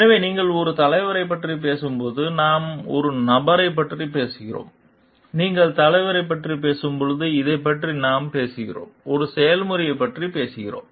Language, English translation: Tamil, So, when you talk of a leader, we are talking of a person; when you are talking of a leadership, we are talking this we are talking of a process